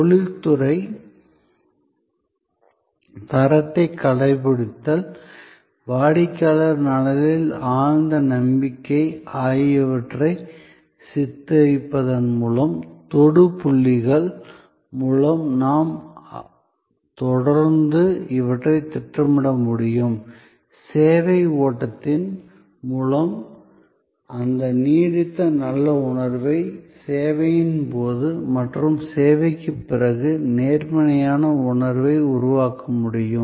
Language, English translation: Tamil, By depicting professionalism, adherence to quality, the deep belief in customer's welfare, the more we are able to project these continuously through the touch points and through the service flow, we are able to create that lingering good feeling, that positive perception during the service and after the service